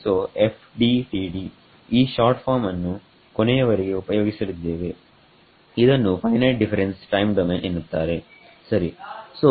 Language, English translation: Kannada, So, FDTD that is the short form that we will be using throughout, Finite Difference Time Domain ok